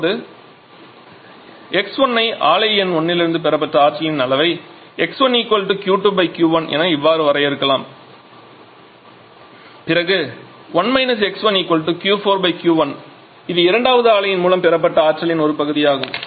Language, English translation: Tamil, Now if we define a fraction X 1 as the amount of energy received by plant number 1 that is Q 2 out of Q 1 then 1 X 1 will be is equal to the fraction of energy received by the second plane that is Q 4 upon Q 1